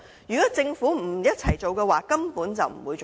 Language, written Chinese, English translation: Cantonese, 如果政府不一起進行，根本不可行。, Without complementary efforts from the Government all will be utterly impossible